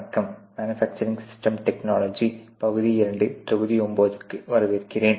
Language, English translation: Tamil, Hello welcome to the manufacturing system part 2 module 9